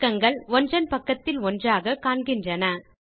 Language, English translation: Tamil, You see that the pages are displayed in side by side manner